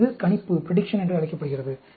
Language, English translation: Tamil, And, it is, that is called prediction